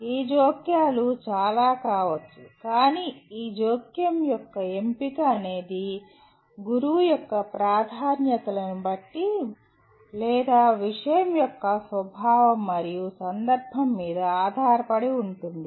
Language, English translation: Telugu, These interventions can be many but the choice of this intervention is based on the preferences of the teacher, or the nature of the subject and the context